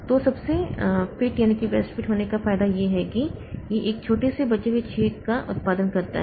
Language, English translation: Hindi, So, the advantage of best fit is that it produces smallest leftover hole